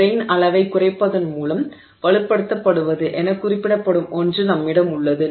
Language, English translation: Tamil, We have something referred to as strengthening by grain size reduction